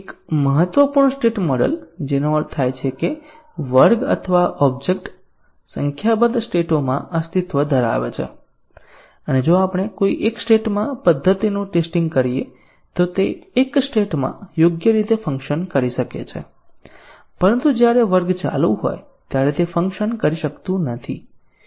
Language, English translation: Gujarati, A significant state model that means that a class or an object can exist in a number of states and if we test a method in one of the state it may be working correctly in one state, but it may not be working when the class is in some other state